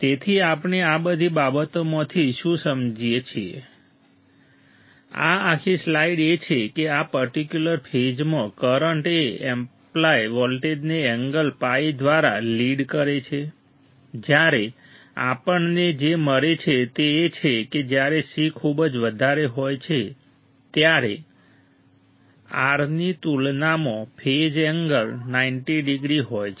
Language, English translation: Gujarati, So, what we understand from this everything, this whole slide is that in this particular phase since the current is leading the applied voltage by an angle phi what we find is that the when the c is very large as compared to R the phase angle tends to be 90 degree; that means, with one R and c